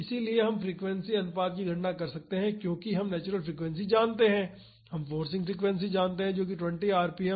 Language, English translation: Hindi, So, we can calculate the frequency ratio because we know the natural frequency we know the forcing frequency that is 20 rpm